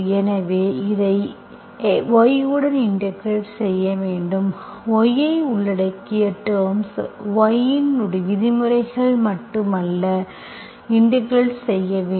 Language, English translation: Tamil, So in practice you, you have to integrate this with respect to y, only terms that involving y, not only terms of y only you should integrate, that will continue